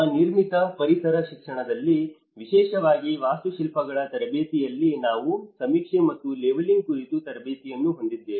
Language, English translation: Kannada, In our built environment education, especially in the architects training, we do have training on the surveying and leveling